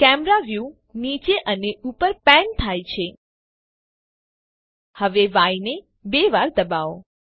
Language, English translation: Gujarati, The Camera view pans up and down Now, Press Y twice